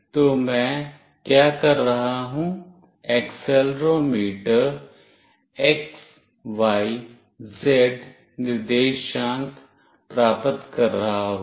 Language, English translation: Hindi, So, what I will be doing, the accelerometer will be getting the x, y, z coordinates